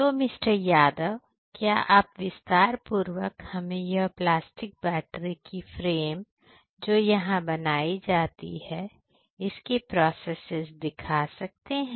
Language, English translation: Hindi, Yadav could you please explain the process that is followed over here in order to prepare this frame that is made for the batteries, the plastic batteries